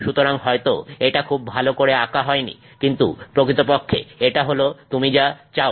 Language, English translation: Bengali, So, maybe that's not very well drawn but that's basically what we want to create